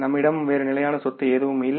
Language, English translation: Tamil, We don't have any other fixed asset here